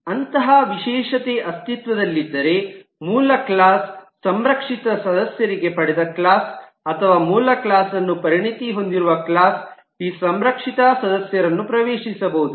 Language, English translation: Kannada, If such specialization exists, then for a protected member in the base class, the derived class or the class that specializes the base class can access this protected members, But other classes cannot access the protected members